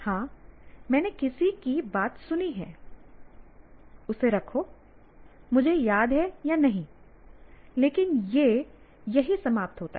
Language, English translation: Hindi, Yes, I have listened to somebody, keep it, whether I may remember or may not remember, but that's where it ends